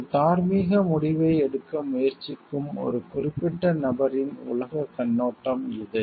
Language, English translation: Tamil, It is the worldview of a particular person who is tried to make a moral decision